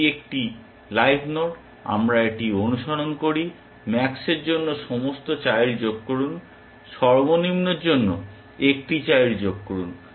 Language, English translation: Bengali, It is a live node, we follow this, add all children for max, one child for min